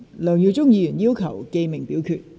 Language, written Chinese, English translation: Cantonese, 梁耀忠議員要求點名表決。, Mr LEUNG Yiu - chung has claimed a division